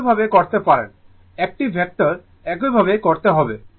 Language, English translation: Bengali, The way you do vector same way you do here also